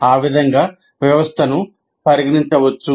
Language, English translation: Telugu, So that is how one can consider the system